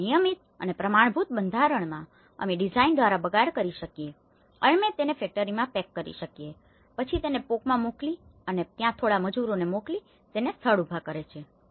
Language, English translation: Gujarati, So, in a uniform and standardized format, so that we can reduce the waste by design and we pack it from the factory, we ship it to the POK and as well as then we send to few labours there and they erect it on spot